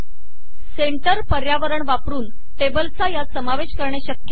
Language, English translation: Marathi, It is possible to include tables using a centre environment